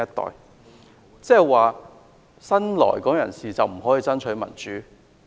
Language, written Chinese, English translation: Cantonese, 他是否意指新來港人士不可以爭取民主？, Does he mean that new immigrants cannot fight for democracy?